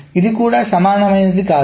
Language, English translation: Telugu, Why it is not equivalent